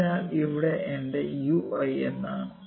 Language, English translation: Malayalam, So, what is my u i here